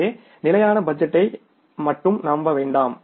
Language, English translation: Tamil, So, don't only rely upon the static budget